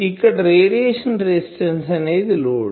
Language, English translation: Telugu, So, radiation resistance is the load in these